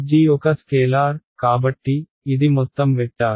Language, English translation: Telugu, g is a scalar, so, the this is overall a vector